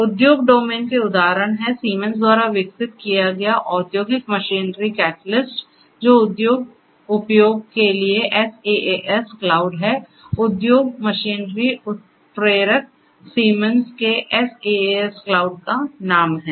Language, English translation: Hindi, Examples from the industrial domain are, Industrial Machinery Catalyst that was developed by Siemens that is a SaaS that is a SaaS cloud for industrial use; industrial machinery catalyst is the name from of the SaaS cloud from Siemens